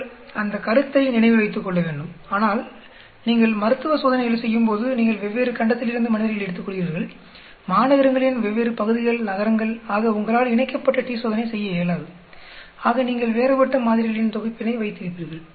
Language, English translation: Tamil, You need to keep that point in mind, but in when you are doing clinical trails, you are taking subjects in different parts of a continent, different parts of cities, towns, so it is not possible for you to do a paired t Test so you will have difference sets of samples